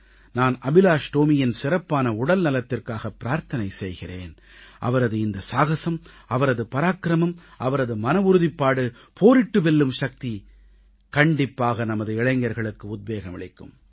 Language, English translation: Tamil, I pray for Tomy's sound health and I am sure that his courage, bravery and resolve to fight and emerge a winner will inspire our younger generation